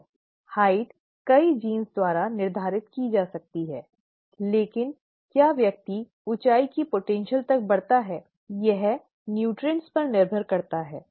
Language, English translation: Hindi, The height could be determined by a number of genes but whether the person grows up to the height potential, depends on the nutrition, right